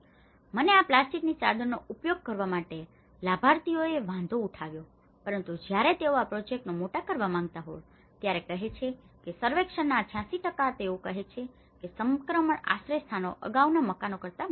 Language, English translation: Gujarati, And that is where the beneficiaries have objected to use the plastic sheeting but when they want to scale up this project that is where they say that 86% of the survey, they have said that the transition shelters were larger than the previous houses